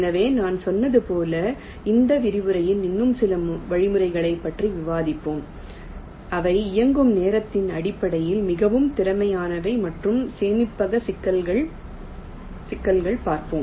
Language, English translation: Tamil, so, as i said, we shall be discussing some more algorithms in this lecture which are more efficient in terms of the running time, also the storage complexities